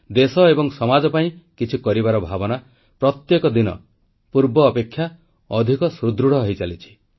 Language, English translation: Odia, The sentiment of contributing positively to the country & society is gaining strength, day by day